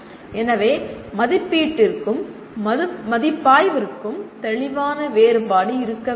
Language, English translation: Tamil, So there should be a clear difference between assessment and evaluation